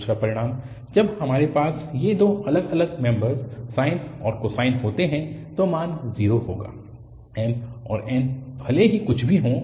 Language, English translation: Hindi, The another result, when we have these two different members sine and cosine then the value will be 0, irrespective of whatever m and n are